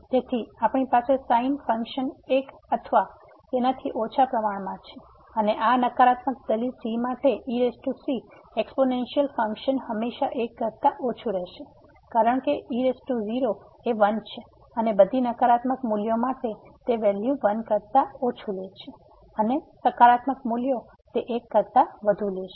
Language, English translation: Gujarati, So, we have less than equal to one the function and the power the exponential function for this negative argument will be always less than because power is and o for all a negative values it takes value less than for positive values it will take more than